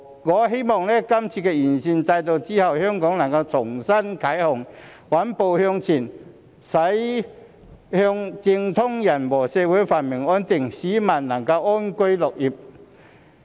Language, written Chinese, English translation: Cantonese, 我希望今次完善選舉制度後，香港能重新啟航，穩步向前，駛向政通人和，社會繁榮安定，市民能安居樂業。, It is sad indeed . I hope that upon the improvement of the electoral system Hong Kong can set sail again for a steady progress towards effective governance and social harmony thereby ensuring a prosperous and stable society for people to live and work in peace and contentment